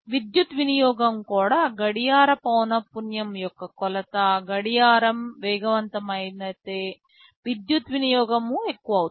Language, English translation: Telugu, Power, power if you see the power consumption is also a measure of the clock frequency, faster is the clock more will be the power consumption